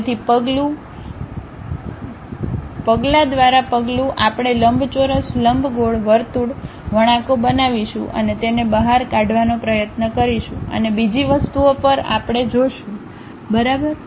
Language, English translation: Gujarati, So, step by step we will construct rectangle, ellipse, circle, curves, and try to extrude it and so on other things we will see, ok